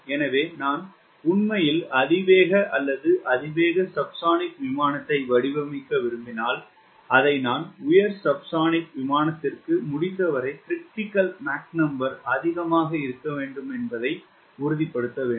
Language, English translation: Tamil, so if i want to really design a high speed or high subsonic airplane, i should ensure that m critical should be as high as possible for high subsonic airplane